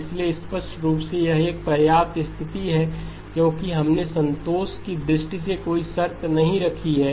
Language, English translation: Hindi, So clearly this is a sufficient condition because we have not put any conditions in terms of satisfying